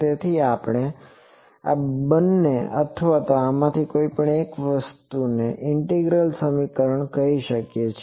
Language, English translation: Gujarati, So, we can say both of these or any of this thing any of these integral equations